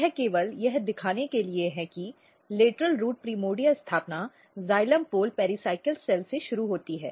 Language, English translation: Hindi, So, this is just to show that lateral root primordia establishment initiate from xylem pole pericycle cell